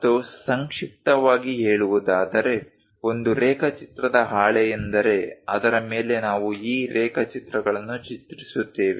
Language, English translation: Kannada, And to summarize, a drawing sheet is the one on which we draw these sketches